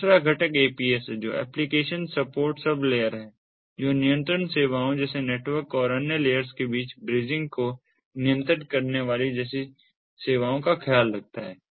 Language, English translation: Hindi, the second component is aps, which stands for application support sublayer, which takes care of services such as ah control services, interfacing, bridging between network and other layers and so on